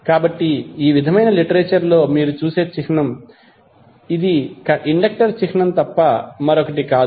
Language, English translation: Telugu, So the symbol you will see in the literature like this, which is nothing but the symbol for inductor